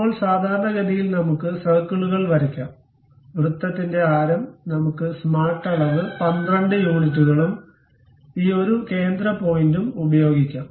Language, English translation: Malayalam, Now, normal to that let us draw circles, a circle of radius; let us use smart dimension 12 units and this one center point to this one